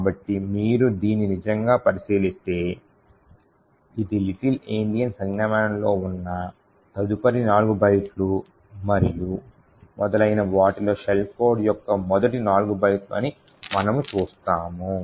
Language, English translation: Telugu, So, if you actually look at this, we see that this are the first four bytes of the shell code in the little Endian notation next four bytes and so on